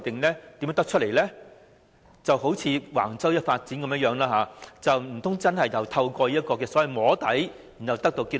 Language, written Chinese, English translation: Cantonese, 難道真的好像橫洲發展一樣，是透過所謂"摸底"得出結論？, Do they really draw conclusions through soft lobbying as in the case of Wang Chau development?